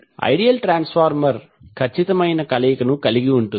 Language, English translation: Telugu, The ideal transformer is the one which has perfect coupling